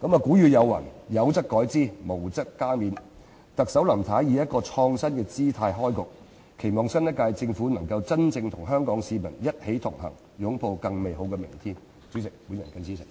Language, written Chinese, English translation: Cantonese, 古語有云："有則改之，無則加勉"，特首林太以一個"創新"的姿態開局，期望新一屆政府能夠真正與香港市民一起同行，擁抱更美好的明天。, As Chief Executive Mrs LAM has kicked off her term of office in an innovative manner I hope that the new Government will truly connect with Hong Kong people and embrace a better future